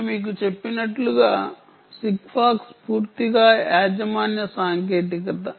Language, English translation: Telugu, sigfox, as i mentioned to you, is entirely a proprietary technology